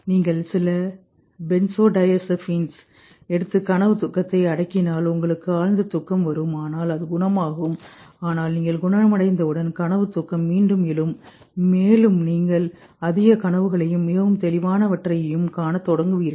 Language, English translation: Tamil, It happens with medication if you take some of the benthodazapines and suppress dream sleep, you get a deep sleep but once once you recover then the dream sleep rebounds and you start seeing more dreams and all very vivid intense dreams